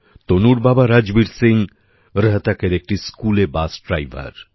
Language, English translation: Bengali, Tanu's father Rajbir Singh is a school bus driver in Rohtak